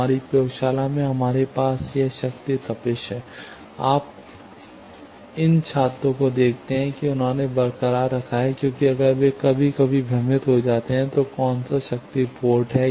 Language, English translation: Hindi, In our lab we have this power heating, you see these students they have retained because if they get sometimes confused, which power port is which one